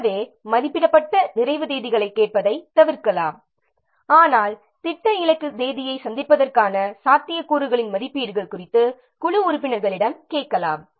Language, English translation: Tamil, So, we can avoid asking the estimated completion dates but we can ask the team members about the estimates of the likelihood of meeting the plan target date